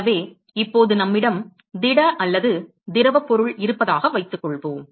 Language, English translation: Tamil, So, now, supposing, supposing we have solid or liquid matter